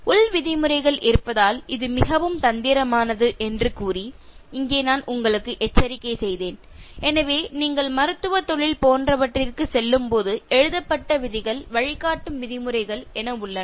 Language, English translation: Tamil, Here I cautioned you by saying that it is rather tricky because there are in house norms, so when you go for something like medical profession, there are written rules, guided norms